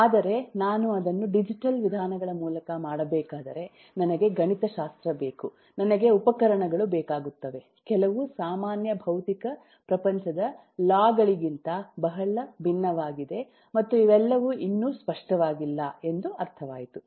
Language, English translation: Kannada, but if I have to do it through digital means, I need a mathematics, I need tools which are very different from the some ordinary physical world laws and not all of those yet are very clearly understood